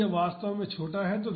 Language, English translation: Hindi, So, it is actually small